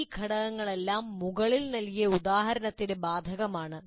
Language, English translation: Malayalam, All these elements apply to the example that I have given